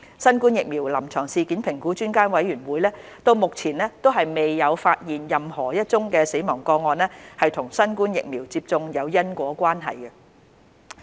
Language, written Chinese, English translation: Cantonese, 新冠疫苗臨床事件評估專家委員會目前未有發現任何一宗死亡個案與新冠疫苗接種有因果關係。, So far there is no death case identified by the Expert Committee on Clinical Events Assessment Following COVID - 19 Immunisation as having causal relationship with COVID - 19 vaccination